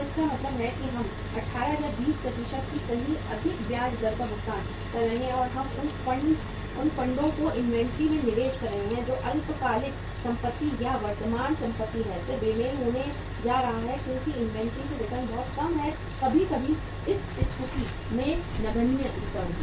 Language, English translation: Hindi, So it means we are paying a high rate of interest somewhere 18, 20% and we are investing those funds in the inventory which is short term asset or current asset then there is going to be a mismatch because the return from the inventory is very very low sometime, even negligible returns from this asset